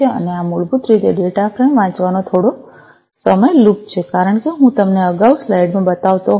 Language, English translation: Gujarati, and this is basically you know there is a while loop trying to read the data frame as I was showing you in the slide earlier